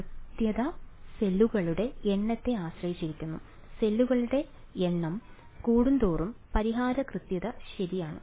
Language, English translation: Malayalam, The accuracy depended on the number of cells right, the larger the number of cells the better was the solution accuracy right